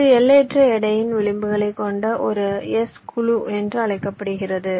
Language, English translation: Tamil, this is called a s clique with edges of infinite weight